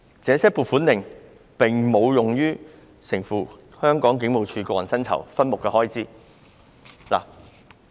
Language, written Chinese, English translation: Cantonese, 這些撥款令並無用於承付香港警務處個人薪酬分目的開支。, These allocation warrants have not been used for meeting expenses of HKPFs personal emoluments subhead